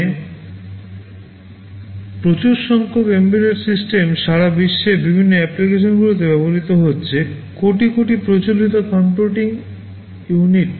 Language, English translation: Bengali, Today a very large number of embedded systems are being used all over the world in various applications, billions of them versus millions of conventional computing units